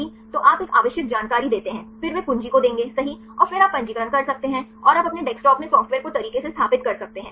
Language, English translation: Hindi, So, you give a necessary information, then they will give the key right and then you can register right and you can install the software right in your desktop